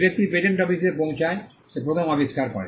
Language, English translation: Bengali, The person who approaches the patent office first gets the invention